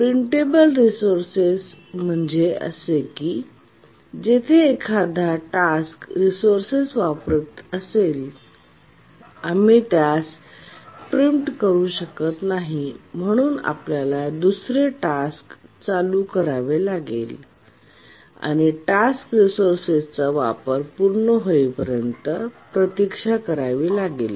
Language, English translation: Marathi, A non preemptible resource is one where once a task is using the resource, we cannot preempt it any time that we need to another task to run, need to wait until the task completes use of the resource